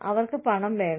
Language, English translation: Malayalam, Do they want money